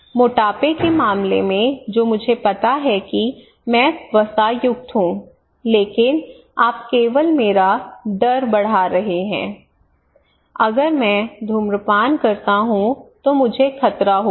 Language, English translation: Hindi, In case of obesity that I know that I am fatty, but you are not telling me you are only increasing my fear, you are only increasing my fear that if I smoke I will be at danger